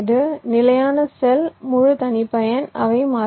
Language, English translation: Tamil, standard cell, full custom, they are also variable